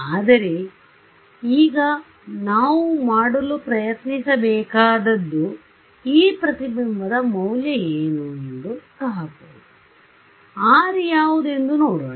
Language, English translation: Kannada, But, now what we should try to do is actually calculate what is a value of this reflection, I should know right how bad is my error